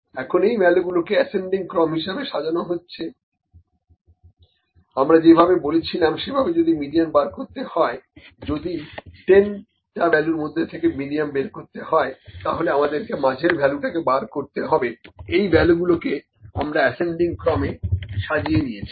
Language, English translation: Bengali, Now these values are arranged in ascending order, if we need to calculate the median in a way that we said, if we need to find out with a 10 values, we can find the midlle value, this is sorted in an ascending order